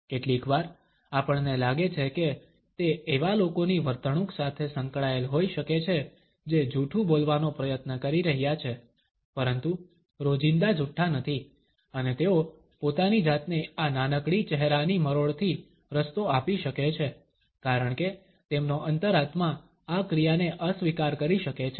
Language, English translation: Gujarati, Sometimes, we find that it can be associated with the behaviour of those people who are trying to pass on a lie, but are not habitual liars and they may give themselves a way with these small grimaces because their conscience may disapprove of this action